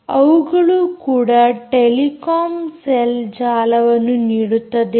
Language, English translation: Kannada, they also give you telecom cell networks